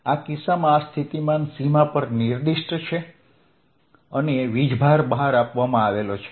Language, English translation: Gujarati, the potential in this case is specified on the boundary and charges are given outside